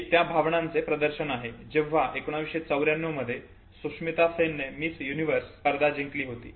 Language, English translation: Marathi, This is the expression of feelings, when Sushmita Sen won Miss Universe in 1994